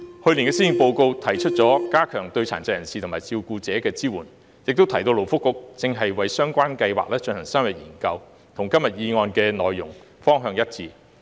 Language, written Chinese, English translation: Cantonese, 去年的施政報告提出了加強對殘疾人士及其照顧者的支援，亦提到勞工及福利局正為相關計劃進行深入研究，與今天議案的內容和方向一致。, Last years Policy Address proposed to enhance the support for PWDs and their carers and mentioned that the Labour and Welfare Bureau was conducting an in - depth study on the relevant schemes . These are in line with the content and direction of todays motion